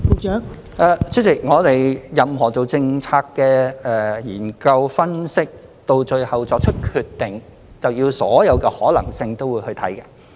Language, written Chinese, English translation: Cantonese, 代理主席，我們進行任何政策研究、分析，到最後作出決定，是需要考慮所有可能性的。, Deputy President when we conduct any policy study or analysis we need to consider all possibilities before finally making a decision